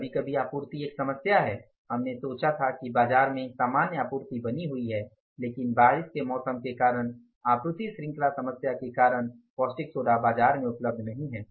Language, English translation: Hindi, Sometimes supply is a problem, we thought that normal supply is maintained in the market but because of rainy season because of the supply chain problem the castic soda is not available in the market